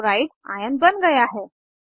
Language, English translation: Hindi, Chloride(Cl^ ) ion is formed